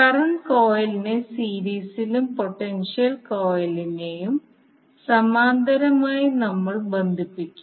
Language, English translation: Malayalam, Will connect the current coil in series and potential coil in parallel